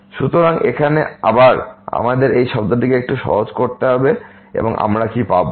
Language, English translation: Bengali, So, the now again we need to simplify this term a little bit and what we will get